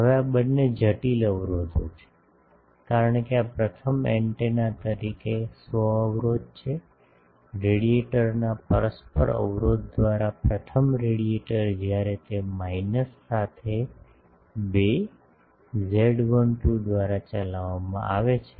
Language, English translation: Gujarati, Now, these two are complex impedances, because these are self impedance of the first antenna as the, first radiator by the mutual impedance of the this radiator when it is driven by 2, z12 with the minus